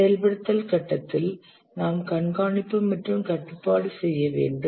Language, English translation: Tamil, In the execution phase we need to do monitoring and control